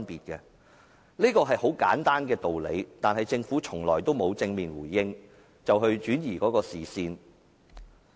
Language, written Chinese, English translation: Cantonese, 這是很簡單的道理，但政府從來沒有正面回應，反而轉移視線。, This is a very simple fact to which the Government has never given any direct response but instead the Government has diverted peoples attention